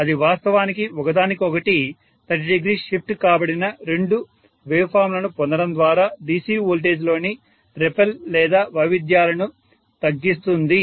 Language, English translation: Telugu, That actually reduces the repel or the variations in the DC voltage by actually getting two phase shifted wave forms which are away from each other by 30 degrees, right